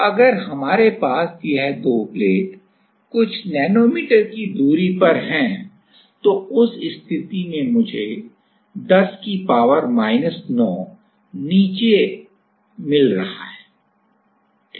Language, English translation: Hindi, So, if we have 2 plates in a separation of let us say few nanometers, then in that case I am getting a 10 to the power minus 9 at the bottom ok